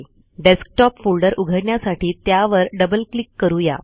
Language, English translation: Marathi, Lets open the Desktop folder by double clicking